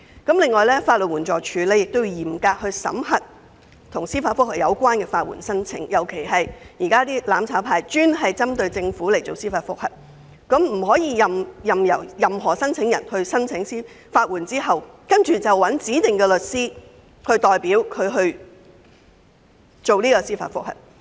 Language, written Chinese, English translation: Cantonese, 此外，法律援助署亦應嚴格審核與司法覆核有關的法律援助申請，尤其是"攬炒派"現時專門針對政府提出的司法覆核，當局不可任由申請人在獲得法律援助後，由指定的律師代表提出司法覆核申請。, In addition the Legal Aid Department should also be stringent in scrutinizing applications for legal aid relating to judicial reviews in particular those judicial reviews currently lodged by the mutual destruction camp specifically against the Government . The applicants should not be allowed to be represented by their designated lawyers to apply for judicial review upon receipt of legal aid